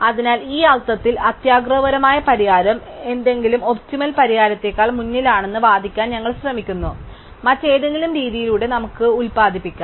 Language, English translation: Malayalam, So, in this sense we are trying to argue that the greedy solution stays ahead of any optimum solution, we may produce by any other method